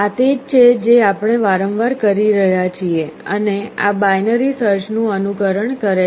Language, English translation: Gujarati, This is what we are doing repeatedly and this emulates binary search